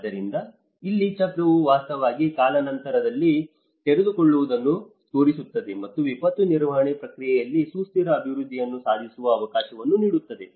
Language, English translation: Kannada, So, here the cycle actually shows the unfolding over time and offer the opportunity of achieving sustainable development in the disaster management process